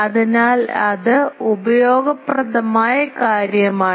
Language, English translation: Malayalam, So, this is an useful thing